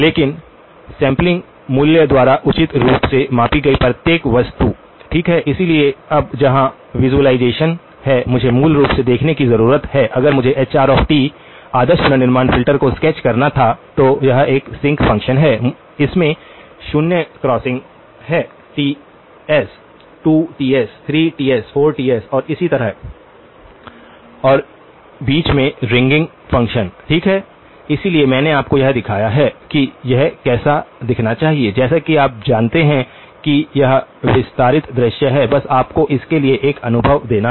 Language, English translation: Hindi, But each one appropriately scaled by the sample value, okay, so now here is the visualisation, need to look at it basically, if I were to sketch the hr of t ideal reconstruction filter, it is a sinc function, it has zero crossings at Ts, 2Ts, 3Ts, 4Ts and so on and in between, the ringing function, okay, so I have sort of shown you what it should look like this is what you know this is expanded view just to give you a feel for it